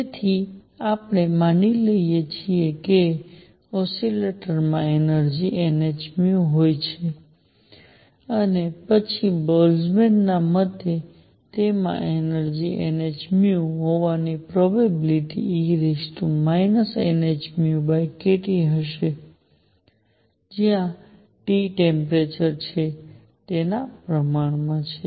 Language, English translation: Gujarati, So, that let us suppose that the oscillator has energy n h nu then according to Boltzmann, the probability that it has energy n h nu, is proportional to e raised to minus n h nu over k T where T is the temperature